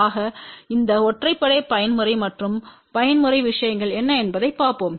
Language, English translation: Tamil, So, let us look at what are these odd mode and even mode things